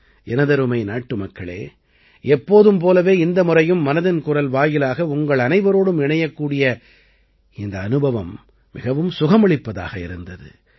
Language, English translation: Tamil, My dear countrymen, as always, this time also it was a very pleasant experience to connect with all of you through 'Mann Ki Baat'